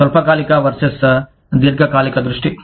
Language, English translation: Telugu, Short term versus long term focus